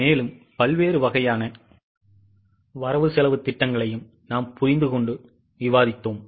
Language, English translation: Tamil, We have also understood and discussed various types of budgets